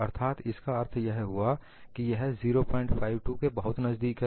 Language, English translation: Hindi, So, that means, it is very close to this 0